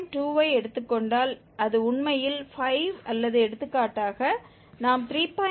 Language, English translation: Tamil, 2 then it is actually converging to 5 or for instance we take 3